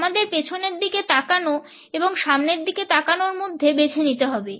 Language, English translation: Bengali, We have to choose between looking backwards and looking forwards